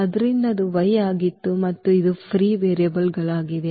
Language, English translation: Kannada, So, that was y and this t these are the free variables